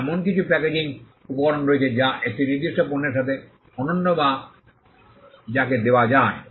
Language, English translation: Bengali, Now there are some packaging materials there are unique to a particular product that can also be covered